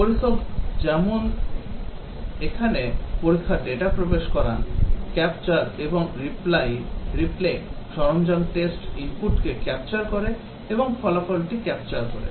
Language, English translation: Bengali, As the tester inputs the test data the tool here, the capture and replay tool captures the test input and also captures the result